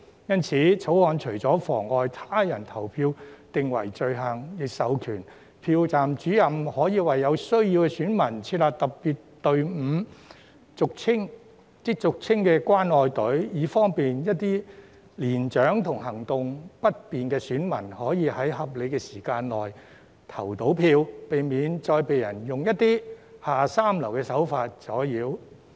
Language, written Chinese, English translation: Cantonese, 因此，《條例草案》除了將妨礙他人投票訂為罪行，亦授權票站主任為有需要的選民設立特別隊伍，亦即俗稱的"關愛隊"，以方便一些年長和行動不便的選民可在合理時間內投票，避免再遭人以一些下三濫手段阻撓。, In light of this apart from specifying in the Bill that it is an offence to obstruct another person from voting Presiding Officers are also empowered to set up a special queue for electors in need which is commonly known as caring queue to facilitate the elderly and electors who are mobility - impaired to vote within a reasonable period of time and to avoid further obstruction caused by people employing some dirty tricks